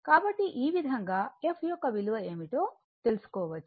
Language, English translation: Telugu, So, this way you can find out what is the value of the f right